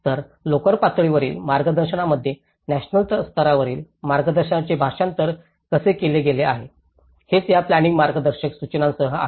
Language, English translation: Marathi, So, how the national level guidance has been translated into the local level guidance, is that is where with these planning guidelines